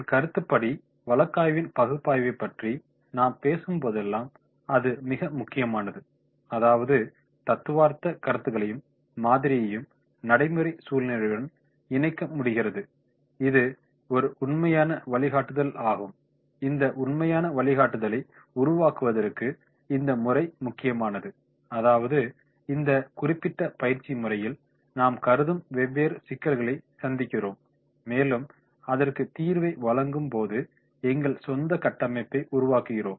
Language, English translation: Tamil, In my opinion whenever we are talking about the case analysis it is very very important that is we are able to connect the theoretical concepts and model to the practical situation and that is a true guideline, for making this true guideline this is important that is we are going through this particular type of the products and different issues we consider and then we are making our own framework to provide the solution